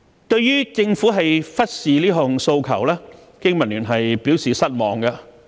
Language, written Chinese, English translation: Cantonese, 對於政府忽視這項訴求，經民聯表示失望。, BPA is disappointed that the Government has ignored this request